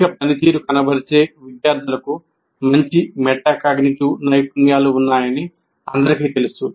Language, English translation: Telugu, And it is quite known, high performing students have better metacognitive skills